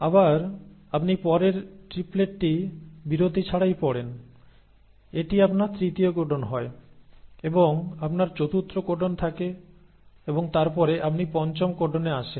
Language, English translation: Bengali, Then again you read the next triplet without the break, so this becomes your third codon and then you have the fourth codon and then you come to the fifth codon